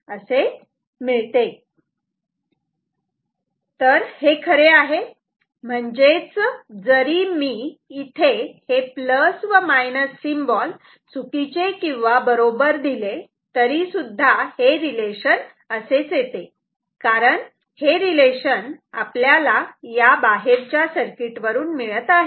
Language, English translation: Marathi, This is true, if I mean this is this relationship is same no matter whether we have this plus minus symbols correct or wrong, this is because this is from the external circuit